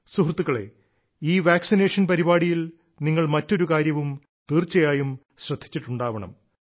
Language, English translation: Malayalam, in this vaccination Programme, you must have noticed something more